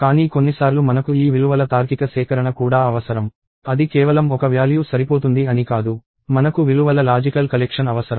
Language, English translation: Telugu, But sometimes we also need a logical collection of these values; it is not that, just one value is sufficient; we need a logical collection of values